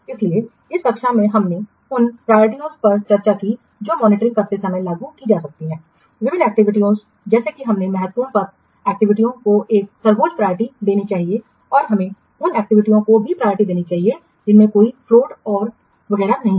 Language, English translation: Hindi, So, in this class we have discussed from the priorities that might be applied while monitoring different activities such as we should give top priority to the critical path activities and we should also give priorities to the activities having no float and etc